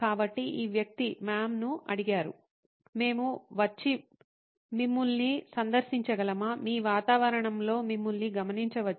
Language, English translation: Telugu, So, this person asked mam can we come and visit you, maybe observe you in your environment